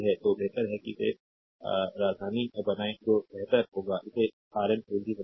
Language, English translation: Hindi, So, better you make it to capital that will be better, right make it Rn capital